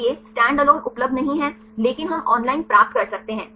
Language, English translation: Hindi, So, standalone is not available, but we can get the online